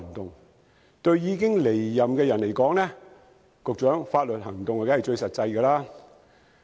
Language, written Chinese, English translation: Cantonese, 局長，對已經離任的人而言，採取法律行動當然最實際有效。, Secretary in the case of those who have already left office legal actions are of course the most effective step